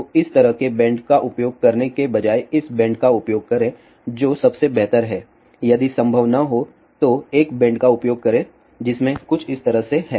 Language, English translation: Hindi, So, instated of using a bend like this use this bend which is most preferable one if not possible use a bend which has something like this over here